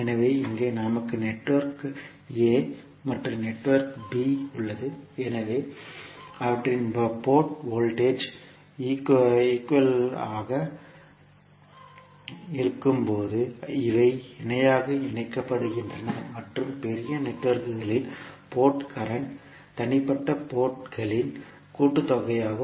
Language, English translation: Tamil, So here we have network a and network b, so these are connected in parallel when their port voltages are equal and port currents of the larger networks are the sum of individual port currents